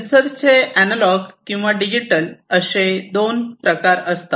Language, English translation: Marathi, And these could be of analog or, digital types